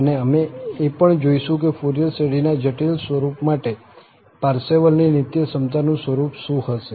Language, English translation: Gujarati, And, we will also look into what will be the form of this Parseval's identity for the complex Form of Fourier Series